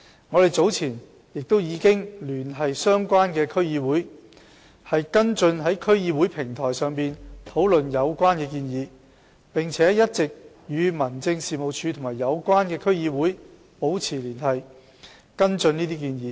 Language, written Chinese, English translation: Cantonese, 我們早前亦已聯繫相關的區議會，跟進在區議會平台上討論有關建議，並且一直與民政事務處及有關區議會保持聯繫和跟進有關建議。, Some time ago we contacted the DCs concerned to follow up these proposals by laying them on the platform of DCs for discussion . We have also maintained close liaison all along with District Offices and DCs concerned to follow up these proposals